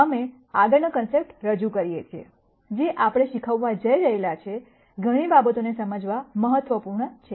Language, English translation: Gujarati, We introduce the next concept, which is important for us to understand many of the things that we are going to teach